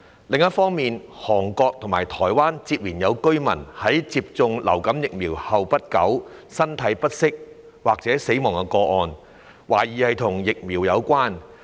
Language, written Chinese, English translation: Cantonese, 另一方面，韓國及台灣接連有居民在接種流感疫苗後不久身體不適或死亡的個案，懷疑與疫苗有關。, On the other hand there have been successive cases in Korea and Taiwan in which some residents felt unwell or died soon after receiving influenza vaccination which are suspected to be related to the vaccines